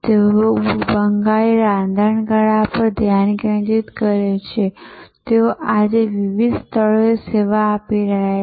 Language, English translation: Gujarati, But, they remain focused on Bengali cuisine, but they are serving today many different locations